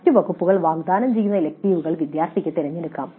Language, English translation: Malayalam, Students can choose to offer electives offered by other departments